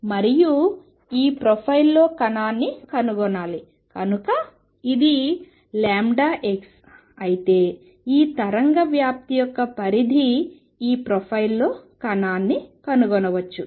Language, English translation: Telugu, And particle is to be found within this profile; so let say if this is delta x, the extent of this wave spreading then particle is found to be found within this profile